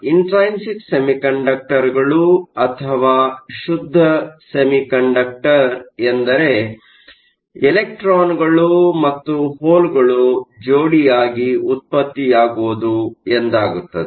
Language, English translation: Kannada, So, intrinsic semiconductors or pure semiconductor are those where electrons and holes are generated in pairs